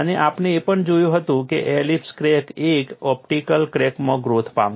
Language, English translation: Gujarati, They have looked at it for an elliptical, from an elliptical crack to a circular crack